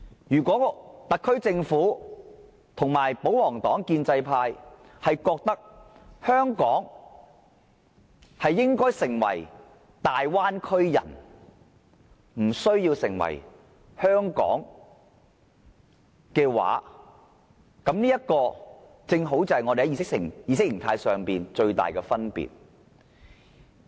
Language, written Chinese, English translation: Cantonese, 如果特區政府與保皇黨、建制派認為香港應該完全融入"大灣區"，無須繼續保存其獨一無二的特色，這正好就是我們之間意識形態的最大分別。, If the SAR Government royalists and the pro - establishment camp think that Hong Kong should integrate completely into the Bay Area and needs not maintain its uniqueness that is exactly our biggest difference in ideology